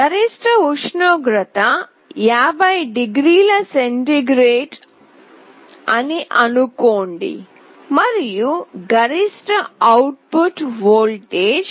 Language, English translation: Telugu, If maximum temperature is, let us say 50 degree centigrade, and the maximum output voltage is 0